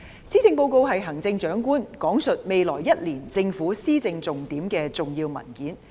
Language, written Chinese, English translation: Cantonese, 施政報告是行政長官闡述未來1年政府施政重點的重要文件。, The Policy Address is an important document for the Chief Executive to explain the Governments key initiatives of administration in the coming year